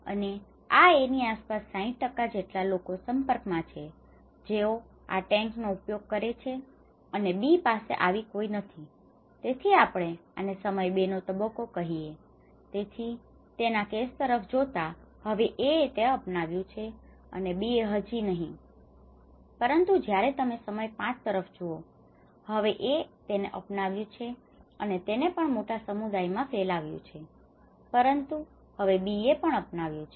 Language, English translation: Gujarati, And this A has an exposure of 60% around him who are using these tanks and B has none so, we call at time phase 2, so by looking at his case now, A has adopted that and B still has not but when you look at the time 5, now A have adopted and it also which has spread it to the largest community but now B has adopted